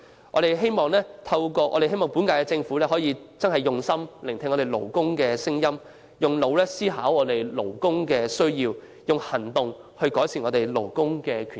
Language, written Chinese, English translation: Cantonese, 我們希望本屆政府能用心聆聽勞工的聲音，動腦筋思考勞工的需要，以行動改善勞工權益。, We hope that the current - term Government can listen to workers voices with its heart ponder over workers needs and take action to improve labour rights and interests